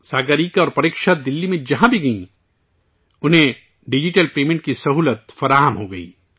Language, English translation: Urdu, Wherever Sagarika and Preksha went in Delhi, they got the facility of digital payment